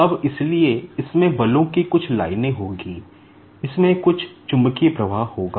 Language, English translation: Hindi, Now, so this will have some lines of forces, it will have some magnetic flux